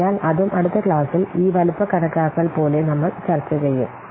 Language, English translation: Malayalam, So that also we'll discuss in the next class like this size estimation